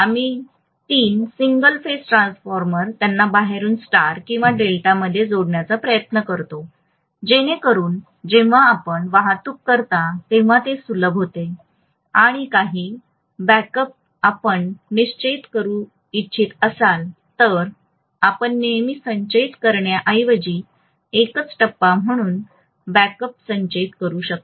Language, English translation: Marathi, We try to make a three single phase transformers connect them in star or delta externally, so that when you transport it becomes simpler and also if you want to store some of the backups you can always store a backup as a single phase rather than storing the entire three phase, so it saves on money, right